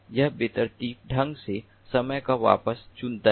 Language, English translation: Hindi, it chooses a back of time randomly